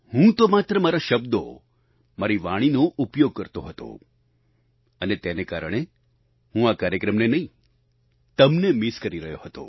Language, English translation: Gujarati, I just used my words and my voice and that is why, I was not missing the programme… I was missing you